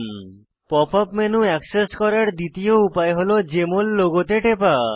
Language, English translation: Bengali, The second way to access the Pop up menu is to click on the Jmol logo